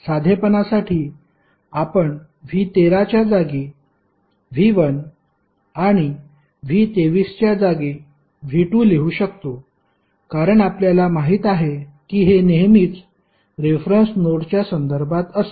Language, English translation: Marathi, For simplicity we can write V 1 as in place of V 13 and V 2 in place of V 23 because we know that this is always be with reference to reference node